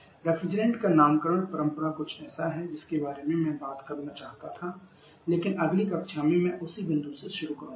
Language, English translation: Hindi, Naming convention of refrigerants is something that I wanted to talk about but in the next class I am starting from that point onwards